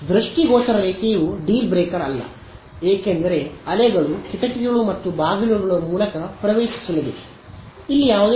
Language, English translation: Kannada, Line of sight is not a deal breaker because the waves still diffract through the windows and doors